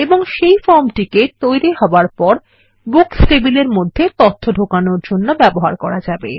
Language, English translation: Bengali, And this form, now, can be used to enter data into the Books table